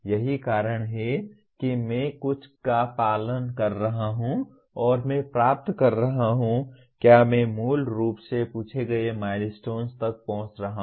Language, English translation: Hindi, That is I am following something and am I getting to, am I reaching the milestones as originally asked